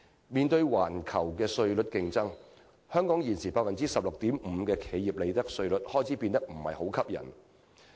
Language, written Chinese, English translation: Cantonese, 面對環球的稅率競爭，香港現時 16.5% 的企業利得稅率開始變得不再吸引。, In the face of such competitive tax rates globally the appeal of Hong Kongs existing 16.5 % of profits tax is waning